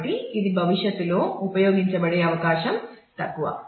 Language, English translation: Telugu, So, it has less likely hood of being used in the future